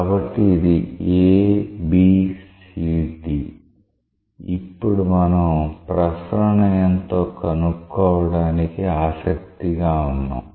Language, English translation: Telugu, So, this like A, B, C, D, now we are interested to find out the circulation